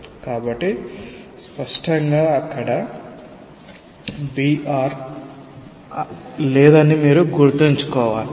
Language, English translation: Telugu, So obviously, there will be no br that you have to keep in mind